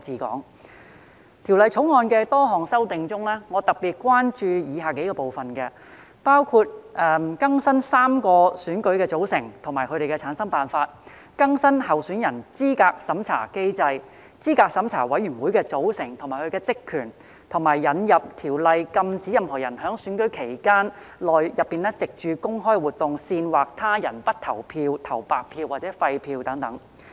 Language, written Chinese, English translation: Cantonese, 在《條例草案》的多項修訂中，我特別關注以下幾個部分，包括更新3個選舉的組成及其產生辦法、更新候選人資格審查機制、候選人資格審查委員會的組成及其職權，以及引入條例以禁止任何人在選舉期間內藉公開活動煽惑他人不投票、投白票或廢票等。, Among the various amendments in the Bill I am particularly concerned about the following parts including updating the membership and method for returning such members in the three elections updating the candidate eligibility review mechanism the composition of the Candidate Eligibility Review Committee CERC and its terms of reference and the introduction of legislation to prohibit any person from inciting another person not to vote or to cast a blank or invalid vote by way of public activity during an election period